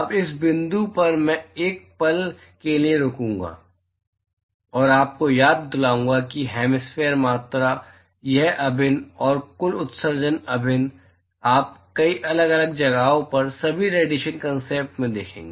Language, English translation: Hindi, Now at this point I will pause for a moment, and remind you that, these hemispherical quantities, this integral, and the Total emission integral, you will see in many different places, in all over radiation concepts